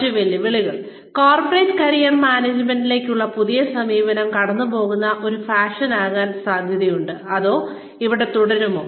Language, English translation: Malayalam, The other challenges, is the new approach to Corporate Career Management, likely to be a passing fad, or is it, here to stay